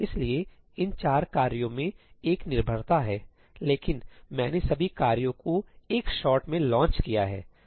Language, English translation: Hindi, So, there is a dependency in these four tasks, but I have launched all the tasks in one shot